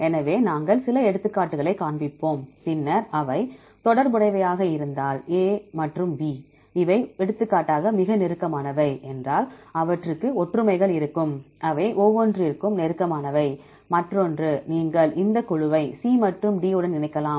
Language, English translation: Tamil, So, we will show some of the examples and if then they are related for example, if A and B are these are closest one for example, then you can say they are very close, they will have the similarities, they are close to each other and then you can combine this group with C and D